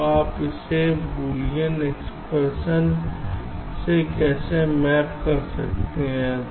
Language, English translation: Hindi, so how you you do it map this into a boolean expression